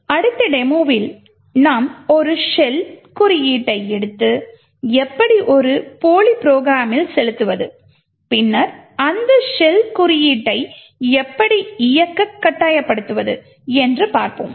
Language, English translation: Tamil, We will take a shell code and we will inject the shell code into a dummy program and then force this shell code to execute